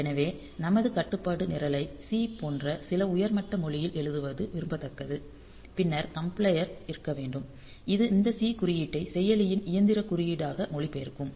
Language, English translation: Tamil, So, it is desirable that we can write our program our control program in some high level language like say C and then the compiler should be there which will translate this C code into the machine code of the processor